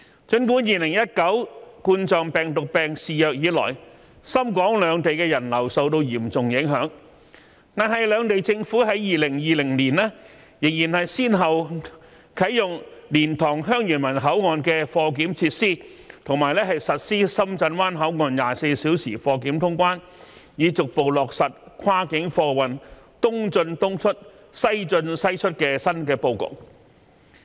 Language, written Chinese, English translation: Cantonese, 儘管2019冠狀病毒病肆虐以來，深港兩地的人流受到嚴重影響，但兩地政府在2020年仍先後啟用蓮塘/香園圍口岸的貨檢設施及在深圳灣口岸實施24小時貨檢通關，以逐步落實跨境貨運"東進東出、西進西出"的新布局。, Even though the passenger flow between Hong Kong and Shenzhen has been heavily impacted by the outbreak of the COVID - 19 pandemic since 2019 the cargo clearance facilities at LiantangHeung Yuen Wai Boundary Control Point and the round - the - clock clearance at Shenzhen Bay Port were commissioned by the Governments on both sides one after another in 2020 so as to gradually implement the new arrangement of the East in East out West in West out approach for cross - boundary goods transport